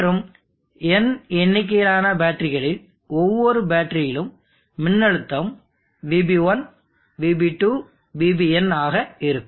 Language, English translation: Tamil, And across the terminals let us say what is the terminal voltage when each of the battery is having voltage VB1, Vb2, VBn there are n batteries